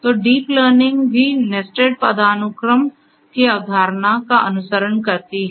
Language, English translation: Hindi, So, deep learning also follows the concept of nested hierarchy